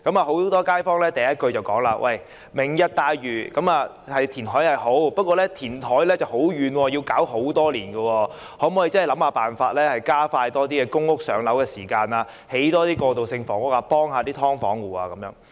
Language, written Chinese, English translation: Cantonese, 很多街坊第一句便是說："明日大嶼"的填海計劃是好，但地點偏遠，需要很多年時間，所以可否想辦法加快輪候公屋的時間，多興建過渡性房屋，幫助"劏房戶"？, Many of them started off by saying that the Lantau Tomorrow reclamation plan albeit good is marred by its remote location and many years of lead time . So can we find ways to shorten the waiting time for public housing and build more transitional housing to help the residents of subdivided units?